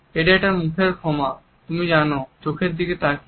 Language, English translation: Bengali, Its a face apology you know look him in the eye, I know I could get